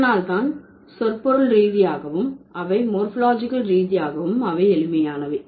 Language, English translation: Tamil, So, that is why semantically also they are simple, morphologically also they are simple